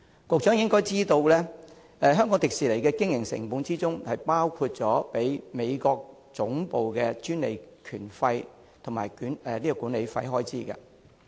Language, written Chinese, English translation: Cantonese, 局長應該知道，香港迪士尼的經營成本包括支付美國總部的專利權費及管理費開支。, The Secretary should know that the operating costs of HKDL include royalty and management fee payments to its headquarters in the United States